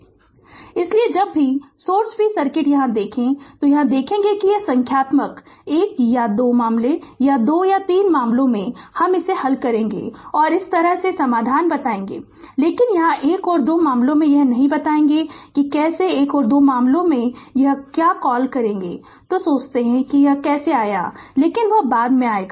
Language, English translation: Hindi, So, whenever you see source free circuit here no then we will see ah when I will solve numerical one or 2 cases or 2 3 cases I will tell you the solution and this way, but here one and 2 cases I will not tell you that how one and 2 cases obtained I will give you your what you call that you think that how it has come, but that will come later